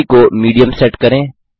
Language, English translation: Hindi, Set speed at Medium